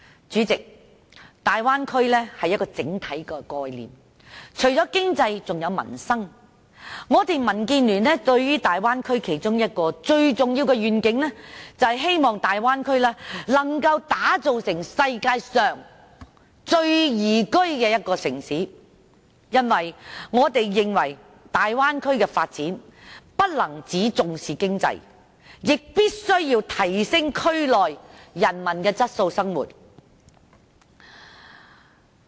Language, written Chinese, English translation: Cantonese, 主席，大灣區是一個整體的概念，除了經濟還有民生，民建聯對大灣區其中一個最重要的願景，是希望能夠把大灣區打造成世界上最宜居的區域，因為我們認為大灣區的發展不能只重視經濟，亦必須提升區內人民的生活質素。, President the Bay Area is an overall concept . Apart from economic development it also concerns peoples livelihood . One of the most important DABs visions of the Bay Area is that we hope to develop the Bay Area into the most liveable region in the world because we think that the development of the Bay Area must not lay sole emphasis on economic development and it must also enhance peoples living quality in the region